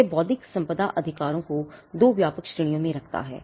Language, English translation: Hindi, So, this makes intellectual property rights, it puts intellectual property rights into 2 broad categories 1